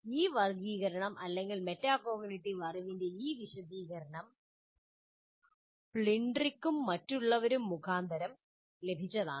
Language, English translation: Malayalam, This classification or this elaboration of metacognitive knowledge is to Plintric and other authors